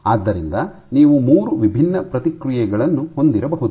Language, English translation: Kannada, So, you might have 3 different responses